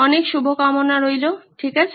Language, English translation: Bengali, Wish you very good luck, okay